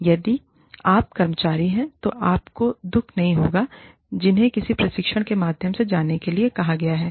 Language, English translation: Hindi, And, it would not hurt, if you are an employee, who has been asked to go through some training